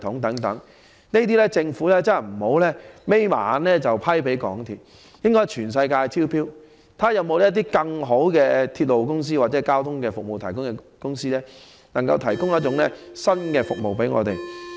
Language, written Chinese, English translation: Cantonese, 對於這些項目，政府不要再閉上眼便判給港鐵，應在全球層面招標，看看有否更好的鐵路公司或交通服務提供者，能夠提供新的服務給市民。, Insofar as these projects are concerned the Government cannot just award them to MTRCL without looking rather it should invite tenders worldwide to see if there are any better railway companies or transport service providers that can provide new services to the public